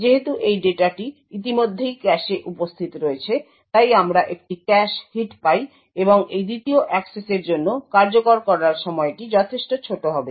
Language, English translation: Bengali, Since this data is already present in the cache, therefore we obtain a cache hit and the execution time for this second access would be considerably smaller